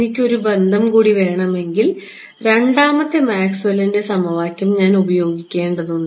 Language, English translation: Malayalam, If I want one more relation, I need to use the second Maxwell’s equation right